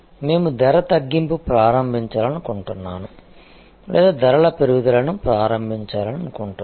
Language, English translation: Telugu, Either, we want to initiate price cut or we want to initiate price increase